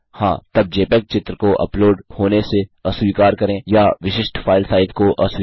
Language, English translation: Hindi, Yes then disallow jpeg image being uploaded or disallow specific file size